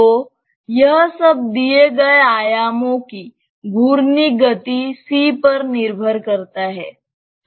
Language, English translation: Hindi, So, it all depends on the rotational speed C to the given dimensions and so on